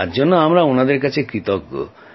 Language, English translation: Bengali, We are grateful to them for their compassion